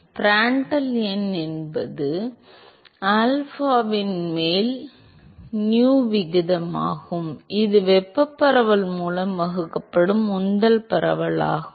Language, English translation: Tamil, Prandtl number is the ratio of nu over alpha which is the momentum diffusivity divided by thermal diffusivity